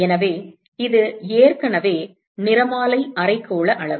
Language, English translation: Tamil, So, it is already spectral hemispherical quantity